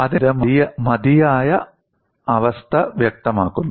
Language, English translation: Malayalam, So, this specifies the sufficient condition